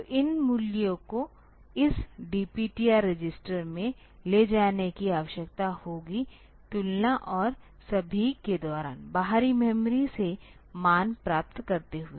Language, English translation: Hindi, So, these values will be needed to be moved to this DPTR register for doing the comparison and all, getting the values from external memory